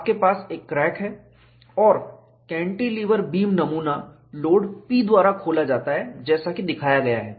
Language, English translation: Hindi, You have a crack and the cantilever beam specimen is opened by the load P as shown